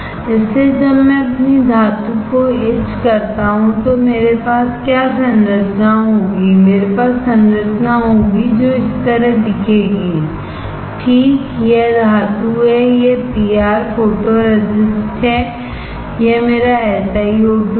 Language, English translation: Hindi, So, when I etch my metal what structure will I have, I will have structure which will look like this, right this is metal, this is PR photoresist, this is my SiO2